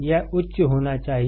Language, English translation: Hindi, It should be high